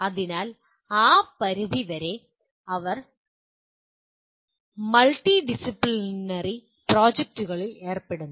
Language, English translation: Malayalam, So to that extent they are involved in multidisciplinary projects